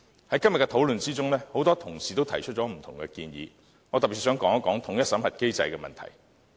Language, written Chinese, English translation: Cantonese, 在今天的討論中，很多同事提出了不同的建議，我特別想說一說統一審核機制的問題。, Many colleagues put forth different proposals in the discussion today . I wish to specifically talk about the unified screening mechanism